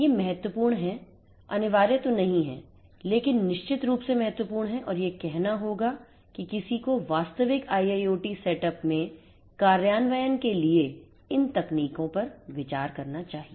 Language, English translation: Hindi, These are important, these are not mandatory, but are definitely important and I would recommend that one should consider these technologies for implementation in a real IIoT setup that is being made